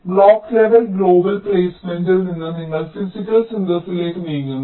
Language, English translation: Malayalam, then from block level global placement you move to physical synthesis